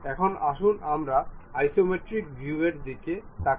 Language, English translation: Bengali, Now, let us look at isometric view